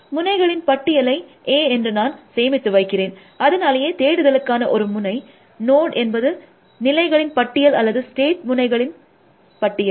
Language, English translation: Tamil, So, I keep a list of nodes as a, so a search node is a list of states or list of state nodes